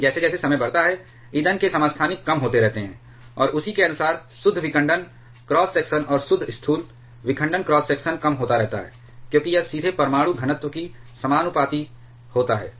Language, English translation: Hindi, But as a time goes on the number of fuel isotopes keeps on reducing, and accordingly the net fission cross section and net macroscopic fission cross section that keeps on reducing because that is directly proportional to the nuclear density